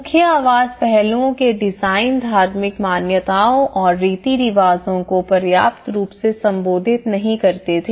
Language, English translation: Hindi, The design of the core dwelling aspects were not sufficiently address the religious beliefs and customs